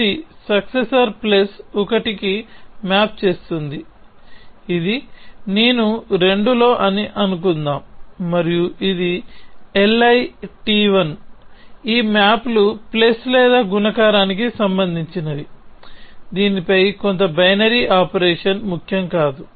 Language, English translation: Telugu, This maps to successor plus 1, this let us say this is of I i t 2 and this is of ii t 1, this maps to plus or multiplication it does not matter some binary operation on this